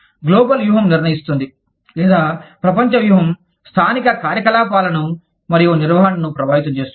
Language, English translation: Telugu, The global strategy decides, whether, the global strategy decides the, or impacts the local operations and management